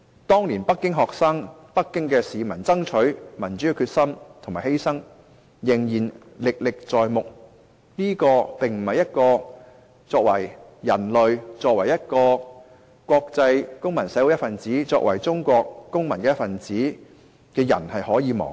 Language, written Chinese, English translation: Cantonese, 當年北京學生和北京市民爭取民主的決心和犧牲，仍然歷歷在目，這不是我們作為人類、作為國際公民社會一分子、作為中國公民一分子可以忘記。, We can still vividly recall the determination and sacrifice of Beijing students and citizens back then in their fight for democracy . It is not something we can forget as a person a member of international civil society and a Chinese citizen